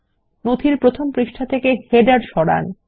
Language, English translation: Bengali, Remove the header from the first page of the document